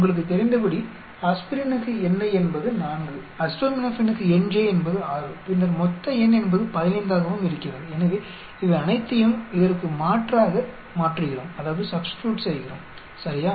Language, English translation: Tamil, As you know for aspirin ni is 4, for acetaminophen nj is 6 and then the total n is 15 so we substitute all these into this, ok